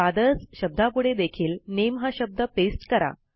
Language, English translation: Marathi, Lets paste the word NAME next to Fathers as well and continue